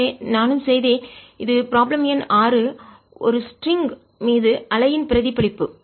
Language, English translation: Tamil, so i had also done this is problem number six: reflection of wave on a string